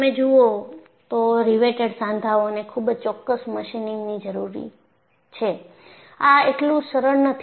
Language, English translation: Gujarati, See, if you look at, riveted joints are very precise; machining is required; it is not so simple